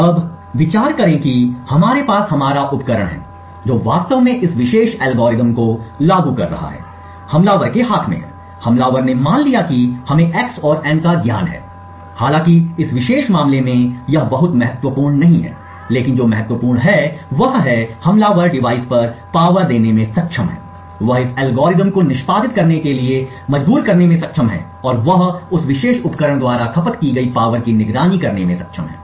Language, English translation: Hindi, Now consider that we have our device which is actually implementing this particular algorithm is in the hands of the attacker, the attacker let us assume has knowledge of x and n although in this particular case it is not very important, but what is important is that the attacker is able to power ON the device, he is able to force this algorithm to execute and he is able to monitor the power consumed by that particular device